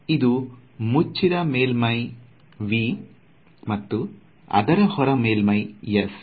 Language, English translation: Kannada, So, this is a closed surface V and outside the closed surface is S